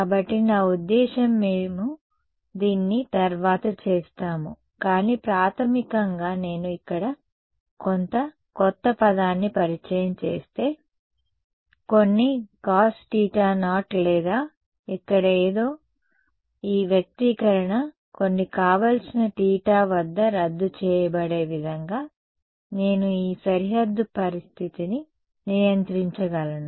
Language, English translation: Telugu, So, I mean we will do this later but, basically if I introduce some new term over here, some cos theta naught or something over here, in such a way that this expression over here, cancels off at some desired theta naught then, I can control this boundary condition